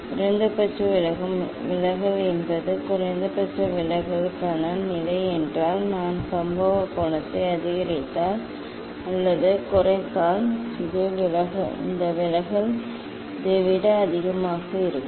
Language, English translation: Tamil, minimum deviation means if this is the position for minimum deviation; if I increase or decrease the incident angle, then this deviation will be higher than this one